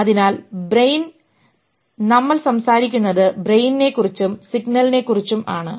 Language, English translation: Malayalam, So we're talking about brain and its signal